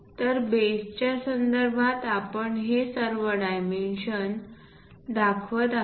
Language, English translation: Marathi, So, with respect to base, we are showing all these dimensions